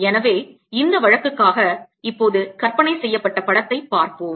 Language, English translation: Tamil, so let us see the picture that is imagine now for this case